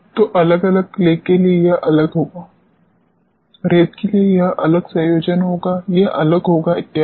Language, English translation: Hindi, So, for different clays it will be different for sands it will be different combination this will be different so on